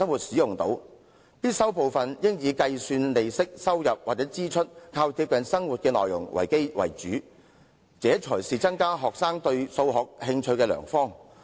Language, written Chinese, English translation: Cantonese, 我認為必修部分應以計算利息、收入或支出等為主，這些內容較貼近生活，這才是增加學生對數學興趣的良方。, In my opinion the compulsory component should comprise mainly the calculation of interest revenue expenditure and so on for these contents are closer to our lives . This is a good way to raise students interest in Mathematics